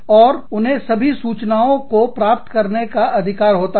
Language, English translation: Hindi, And, they have a right, to get all the information